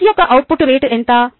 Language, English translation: Telugu, what is the output rate of s